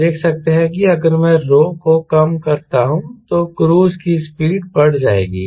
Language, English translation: Hindi, you could see that if i reduce rho, cruise speed will increase